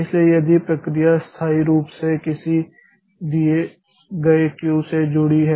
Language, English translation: Hindi, So, the process is permanently attached to a given Q